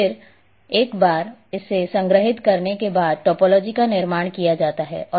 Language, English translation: Hindi, And once it is stored topology is constructed